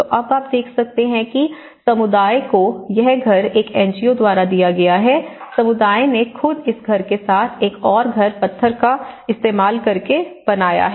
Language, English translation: Hindi, So, now you can see a community has been given this house by an NGO, next to it the community themselves have built this house by using the stone